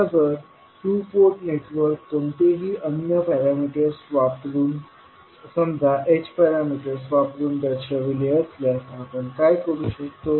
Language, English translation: Marathi, Now, if the two port networks are represented using any other parameters say H parameter, what we can do